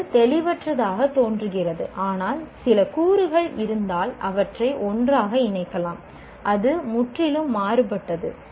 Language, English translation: Tamil, It looks great, but if some elements are there, you can put them together something completely different from what it has been done